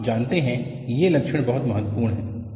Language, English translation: Hindi, These features are very important